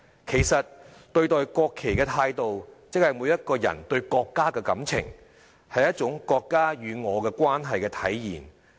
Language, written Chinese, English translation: Cantonese, 其實對待國旗的態度即是每一個人對國家的感情，是一種"國家與我的關係"的體現。, In fact ones attitude towards the national flag shows ones sentiment towards ones country and is a manifestation of ones relationship with the country